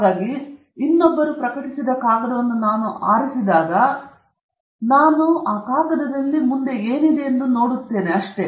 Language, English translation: Kannada, So, when I pick up a paper published by somebody else, that’s exactly what I am looking forward to in that paper